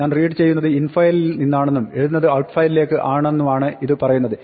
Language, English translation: Malayalam, This tells that I am going to read from infile and write to outfile